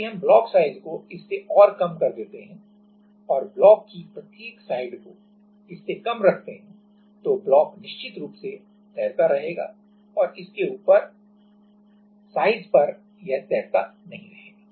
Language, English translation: Hindi, If we make it even lesser the block size that each side of the block then it will definitely float and above that it will not float